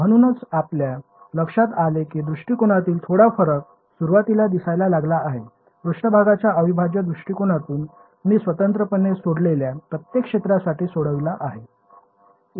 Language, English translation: Marathi, So, you notice the slight difference in approach is started write in the beginning, in the surface integral approach I went for each region separately solved separately subtracted